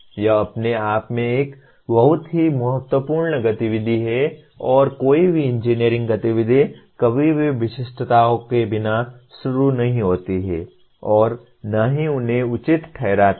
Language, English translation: Hindi, That itself is a very important activity and no engineering activity is ever done without starting with specifications and justifying them